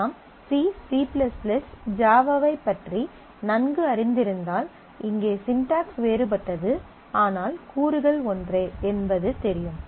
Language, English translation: Tamil, So, if you are familiar with C, C++, Java you I mean it is just that the syntax is different, but the elements are same